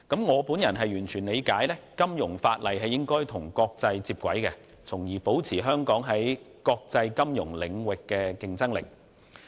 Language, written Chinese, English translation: Cantonese, 我完全理解，金融法例必須與國際接軌，才能維持香港在國際金融領域的競爭力。, I fully understand that financial legislation must comply with international standards so as to maintain Hong Kongs competitiveness in the international financial arena